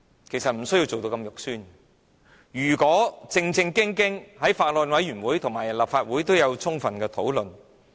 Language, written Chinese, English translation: Cantonese, 其實，你不需要做得如此不堪，應該正正經經讓議員在法案委員會和立法會會議都有充分的討論。, In fact you should not have taken such disgusting actions . You should instead allow Members to seriously engage in comprehensive discussions at the Bills Committee and Council meetings